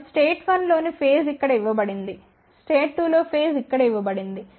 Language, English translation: Telugu, 11 so phase in state 1 is given over here, face in state 2 is given over here